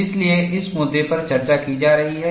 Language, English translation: Hindi, So, that is the issue, that is being discussed